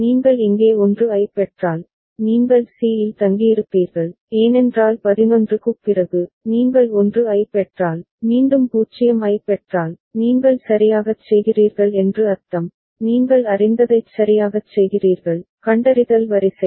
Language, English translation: Tamil, And if you receive a 1 here, you stay at c, because after 11, you can if you get a 1, again if you get a 0, then you are doing right that means, you are going right in the you know, detecting the sequence